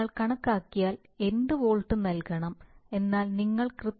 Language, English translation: Malayalam, 1 volt, just what volt you have to give that if you calculate but so you artificially increase 1